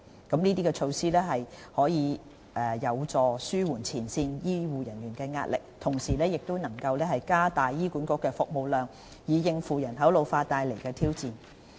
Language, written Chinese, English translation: Cantonese, 這些措施有助紓緩前線醫護人員的壓力，同時加大醫管局的服務量，以應付人口老化所帶來的挑戰。, These measures undertaken to help alleviate the pressure on frontline health care personnel and increase the service capacity of HA will serve to tackle the challenges brought forth by an ageing population